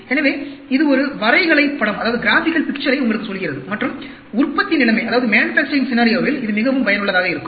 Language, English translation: Tamil, So, it tells you a graphical picture and it is very useful in the manufacturing scenario